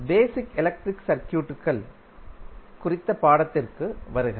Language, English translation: Tamil, Hello and welcome to the course on basic electrical circuits